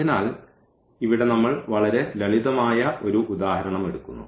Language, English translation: Malayalam, So, here we take a very simple example